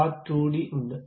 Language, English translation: Malayalam, There is part2d